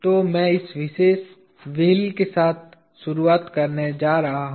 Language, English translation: Hindi, So I am going to start with this particular wheel